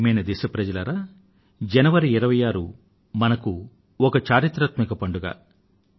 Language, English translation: Telugu, My dear countrymen, 26th January is a historic festival for all of us